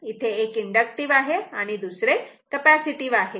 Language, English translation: Marathi, Because, one is inductive another is capacitive